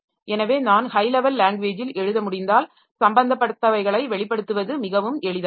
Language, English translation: Tamil, So, if I can write at high level language then expressing my concerns are much easier